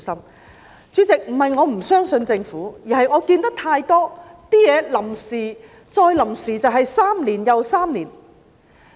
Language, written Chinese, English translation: Cantonese, 代理主席，不是我不相信政府，而是我看見太多東西是臨時3年又3年。, Deputy President it is not that I distrust the Government but I have seen too many cases where something of a temporary nature ended up remaining for a long period of time